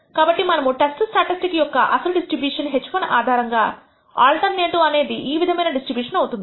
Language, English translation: Telugu, So, let us assume that the actual distribution of the test statistic under h 1 under the alternative happens to be this kind of a distribution